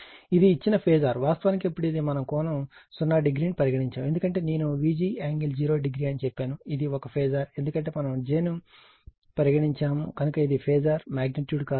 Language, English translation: Telugu, This is the given phasor this is actually then we put angle 0 degree, because V g I told you angle 0 degree, this is a phasor because we have put j, so it is it is phasor quantity not magnitude